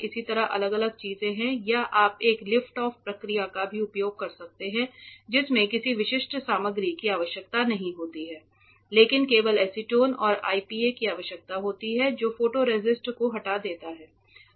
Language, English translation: Hindi, Likewise there are etchants for different things or you might even use a lift off process which does not require a etchant for a specific material, but requires only acetone and IPA that removes the photoresist